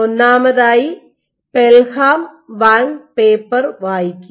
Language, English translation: Malayalam, First of all, read the Pelham and Wang paper